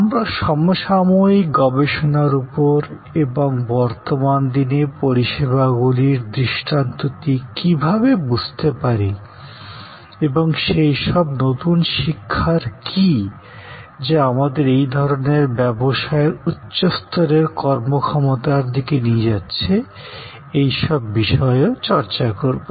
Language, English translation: Bengali, We will focus more and more on our contemporary research and how we understand today’s paradigm of services and what are the new learning's, that are leading us to higher level of performance in these kind of businesses